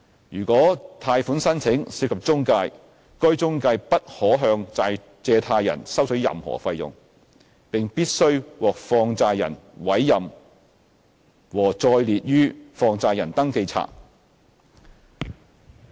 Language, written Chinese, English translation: Cantonese, 如果貸款申請涉及中介，該中介不可向借貸人收取任何費用，並必須獲放債人委任和載列於放債人登記冊。, If a loan application involves an intermediary the intermediary cannot charge any fee on the borrower and must be appointed by the money lender and included in the Register of Money Lenders